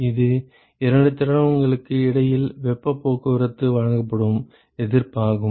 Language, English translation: Tamil, It is the resistance offered for heat transport between the two fluids right